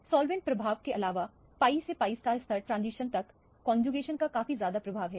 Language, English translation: Hindi, In addition to solvent effect conjugation has a very high effect on the transition of the pi to pi star level